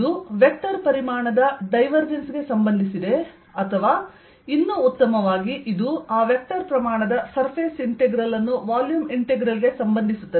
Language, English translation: Kannada, this relates divergence of a vector quantity or, even better, it's volume integral to the surface, integral of that vector quantity